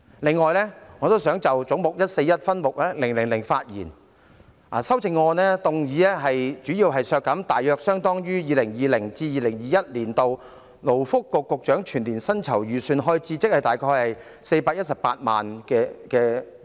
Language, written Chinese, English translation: Cantonese, 另外，我想就總目 141， 分目000發言，有關修正案提出削減大約相當於 2020-2021 年度勞工及福利局局長全年薪酬預算開支，即418萬元。, Besides I would like to speak on subhead 000 of head 141 . The relevant amendment proposes to deduct an amount approximately equivalent to the annual estimated expenditure for the emoluments of the Secretary for Labour and Welfare in 2020 - 2021 which is 4,180,000